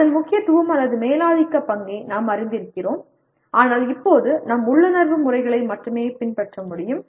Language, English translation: Tamil, While we are aware of its importance or dominant role, but we can only adopt our intuitive methods right now